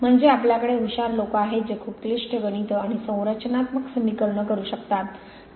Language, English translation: Marathi, I mean, we have intelligent people who can do very complicated mathematics and structural equations